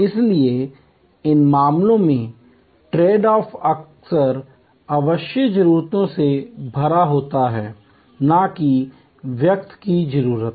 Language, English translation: Hindi, So, in these cases the trade offs are often laden with latent needs, not articulated needs